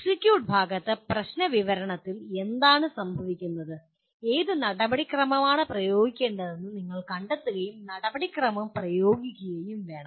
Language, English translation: Malayalam, But in the execute part, what happens the problem description is that you should also find out which procedure to apply and then apply the procedure